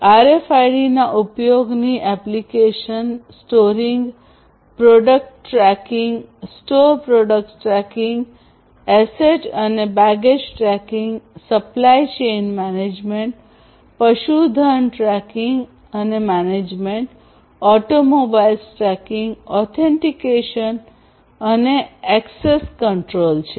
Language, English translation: Gujarati, Applications of use of RFIDs are for storing product tracking, store product tracking, sorry, store product tracking, asset and baggage tracking, supply chain management, livestock tracking and management, auto mobile tracking authentication and access control, and so on